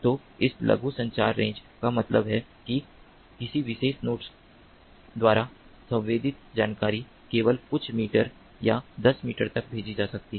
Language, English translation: Hindi, so this short communication range means that the sensed information by a particular node can be sent only up to couple of meters or tens of meters